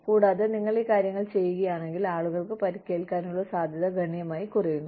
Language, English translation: Malayalam, And, if you do these things, the chances of people getting hurt, are significantly reduced